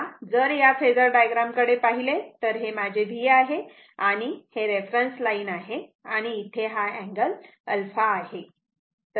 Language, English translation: Marathi, So, if you look into this phasor diagram say say this is my this is my V this is my V and this is my this is my reference line this is my reference line and this angle is alpha say